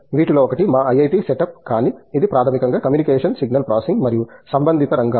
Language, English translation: Telugu, One in our, one in our IIT setup, but it’s basically communication signal processing and related areas